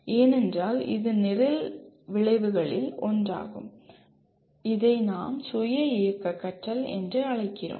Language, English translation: Tamil, Because that is one of the program outcomes as well that is self directed learning as we call